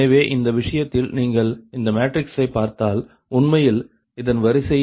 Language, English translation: Tamil, so in this case, the, if you look in to that, this matrix actually order is five in to a five right